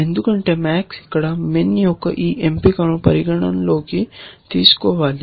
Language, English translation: Telugu, Because max has to take into account this choice of min here